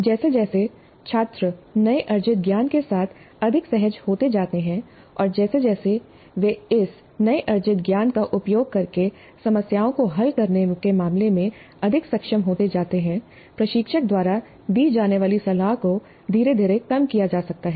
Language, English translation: Hindi, As students become more comfortable with the newly acquired knowledge and as they become more competent in terms of solving problems using this newly acquired knowledge, the mentoring by the instructor can be gradually reduced